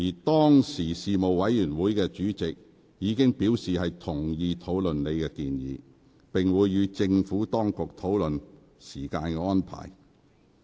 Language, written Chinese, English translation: Cantonese, 當時該事務委員會的主席已表示同意討論你的有關建議，並會與政府當局商討時間安排。, The then Panel Chairman agreed to discuss your proposal and made the relevant meeting arrangement with the Administration